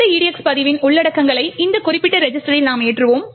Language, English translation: Tamil, Next, what we do is load the contents of this EDX register into this particular register